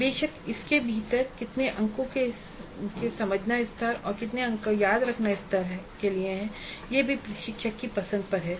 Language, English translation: Hindi, Of course within that how many marks to understand level, how many marks to the remember level is also the instructor